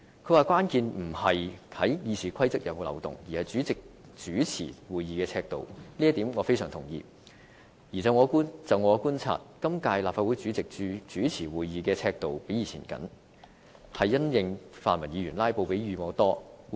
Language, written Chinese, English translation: Cantonese, 他說關建不在於《議事規則》是否有漏洞，而是主席主持會議的尺度，這一點我非常同意，而且就我的觀察，今屆立法會主席主持會議的尺度較以往為緊，是因應泛民議員"拉布"比以往頻繁。, In his view the crux is rather the yardstick of the President for chairing meetings than possible loopholes in RoP . I very much agree with this . I observe that when compared with his predecessors the President of this term has taken a tougher line in response to the more frequent filibustering of pan - democrats